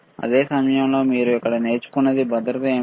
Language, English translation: Telugu, But the same time, what you learn here is what is safety; right